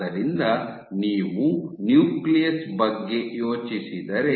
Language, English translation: Kannada, So, if you think of the nucleus